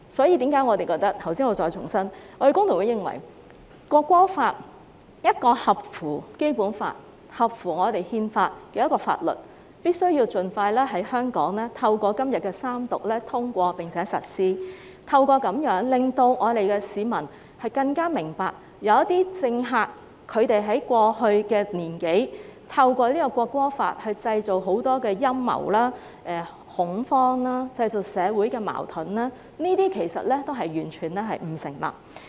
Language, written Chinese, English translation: Cantonese, 因此，我再重申，工聯會認為《條例草案》是一項符合《基本法》和憲法的法律，必須透過在今天通過三讀，盡快在香港實施，令市民更明白有些政客在過去1年多，透過《條例草案》製造很多陰謀、恐慌和社會矛盾，這些其實完全不成立。, Therefore I must reiterate that FTU holds that the Bill is a piece of legislation in line with the Basic Law and the constitution . It must be implemented in Hong Kong as soon as possible through the passage of its Third Reading today with a view to enabling members of the public to have a clearer understanding that some politicians have made use of the Bill to create a lot of conspiracies panic and social conflicts in the past year or so . Yet all of them are in fact totally unsubstantiated